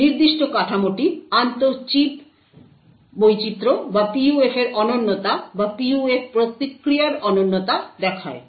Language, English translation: Bengali, This particular figure shows the inter chip variation or the uniqueness of the PUF or the uniqueness of the PUF response